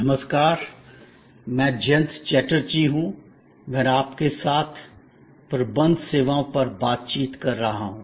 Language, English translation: Hindi, Hello, I am Jayanta Chatterjee and I am interacting with you on Managing Services